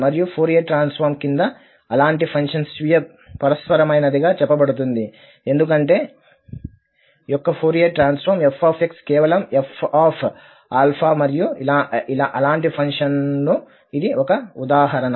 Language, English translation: Telugu, And such a function is said to be self reciprocal under the Fourier transformation because the Fourier transform of f x is just f alpha and this is one of the examples of such functions